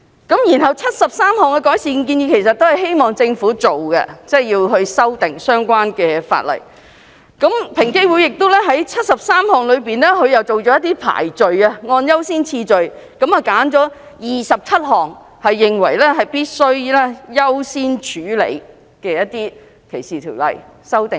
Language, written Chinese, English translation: Cantonese, 該73項改善建議其實都是希望政府修訂相關法例；而在73項改善建議中，平機會亦按優先次序選出27項，認為必須優先處理，就相關的反歧視條例作出修訂。, The 73 recommendations in general sought to call on the Government to amend the ordinances concerned . Of the 73 recommendations EOC accorded a higher priority to 27 recommendations . It was of the view that amendments should be introduced to the corresponding anti - discrimination ordinances